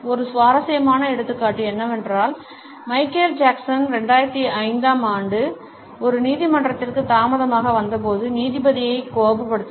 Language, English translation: Tamil, A very interesting example is that of Michael Jackson, who angered the judge when he arrived late in one of the courts in 2005